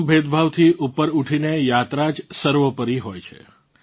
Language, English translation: Gujarati, Rising above all discrimination, the journey itself is paramount